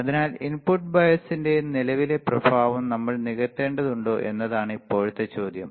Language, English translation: Malayalam, So, now the question is if that is the case we have to compensate the effect of input bias current right